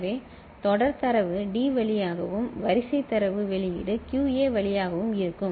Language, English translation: Tamil, So, serial data in will be coming through D and serial data output will be through QA ok